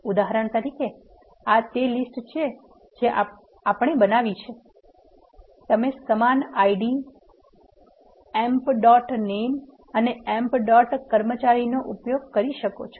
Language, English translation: Gujarati, For example, this is the same list we have created you can use the same ID, emp dot name and emp dot employee